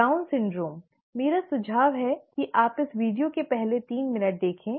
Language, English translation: Hindi, Down syndrome, I would suggest that you watch the first three minutes of this video